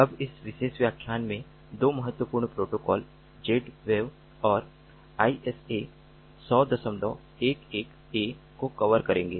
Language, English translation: Hindi, we will now, in this particular lecture, cover two important protocols: z wave and isa hundred point eleven a